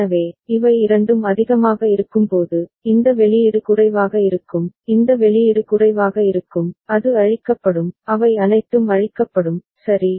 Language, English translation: Tamil, So, when both of them are high, then this output is low, this output is low and it will be cleared all of them will be cleared, ok